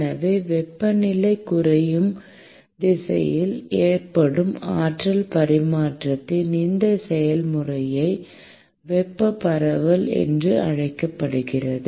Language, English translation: Tamil, So, this process of energy transfer that occurs in the direction of decreasing temperature is what is called as thermal diffusion